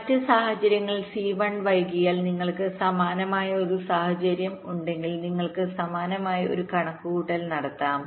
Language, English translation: Malayalam, and if c one is delayed in the other case so you have a similar kind of situation you can similarly make a calculations, ok